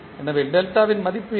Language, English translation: Tamil, So, what is the value of delta